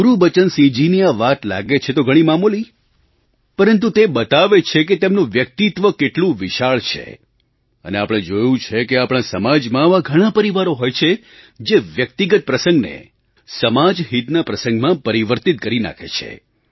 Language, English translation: Gujarati, This point made by Gurbachan Singh ji appears quite ordinary but this reveals how tall and strong his personality is and we have seen that there are many families in our society who connect their individual matters with the benefit of the society as a whole